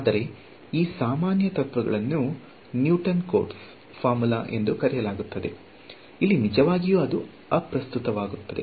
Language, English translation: Kannada, But, these general set of principles they are called Newton Cotes formula ok, this is something to know does not really matter over here